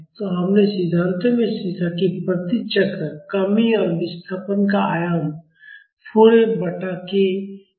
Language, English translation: Hindi, So, we have learnt in the theory that, the reduction and displacement amplitude per cycle is 4 F by k